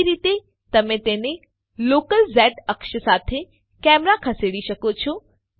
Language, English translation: Gujarati, Second way, you can move the camera along its local z axis